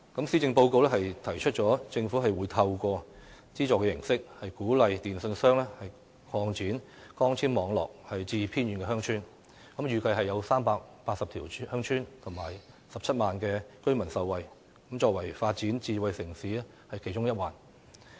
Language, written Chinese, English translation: Cantonese, 施政報告提出政府會透過資助形式，鼓勵電訊商擴展光纖網絡至偏遠鄉村，預計380條鄉村、近17萬名居民將會受惠，作為發展智慧城市的其中一環。, The Policy Address proposes that the Government should as part of its efforts to develop a smart city provide subsidies to encourage telecommunications companies to extend the fibre - based network to villages in remote locations . This is expected to benefit nearly 170 000 villagers in 380 villages